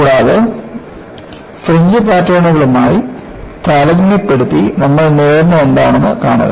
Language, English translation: Malayalam, And, compare with the fringe patterns and see, what we obtain